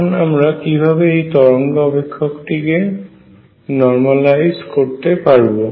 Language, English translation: Bengali, And now how do we normalize the wave function